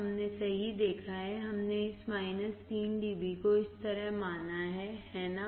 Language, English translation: Hindi, We have seen right, we have considered this minus 3 dB like this is, right